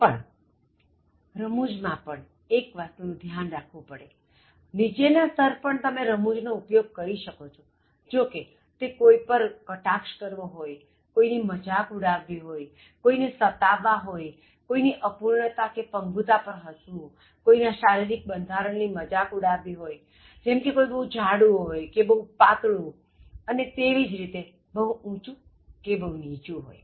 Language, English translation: Gujarati, But at a lower level, again you can use humour, but that amounts to passing sarcastic remarks, poking fun on others, teasing others, laughing at others’ disability, joking on others’ physique, such as somebody is so fat or so thin or like in terms of becoming taller or shorter